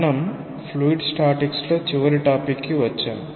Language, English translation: Telugu, So, we close our discussion on fluid statics with this